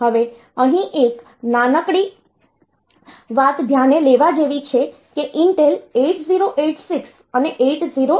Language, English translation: Gujarati, Now, there is a small thing to notice here that Intel 8086 and this number is 8088